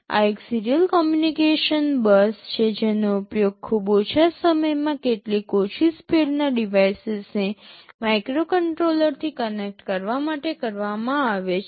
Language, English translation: Gujarati, This is a serial communication bus that is very frequently used to connect some low speed devices to a microcontroller over very short distances